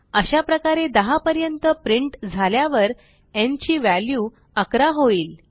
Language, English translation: Marathi, And so on till all the 10 numbers are printed and the value of n becomes 11